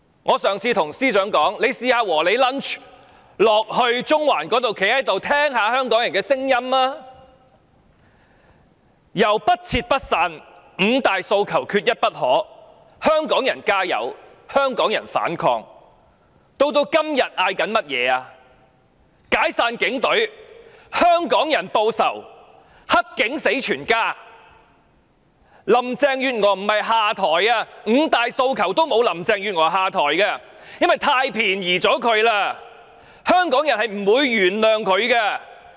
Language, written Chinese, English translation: Cantonese, 我上次建議司長在"和你 lunch" 時段去中環聽聽香港人的聲音，口號由"不撤不散"、"五大訴求，缺一不可"、"香港人加油"、"香港人反抗"，以至今天大家高呼"解散警隊"、"香港人報仇"及"黑警死全家"，不是高呼"林鄭月娥下台"，五大訴求中沒有"林鄭月娥下台"這個訴求，因為這樣太便宜她了，香港人是不會原諒她的。, Last time I suggested the Chief Secretary to go to Central and listen to Hongkongers voices during lunch with you . The slogans have evolved from no withdrawal no dispersal five demands not one less Hongkongers add oil Hongkongers resist to disband the police force Hongkongers retaliate and dirty cops should see all their family members die that people are now chanting . Yet no one would chant Carrie LAM step down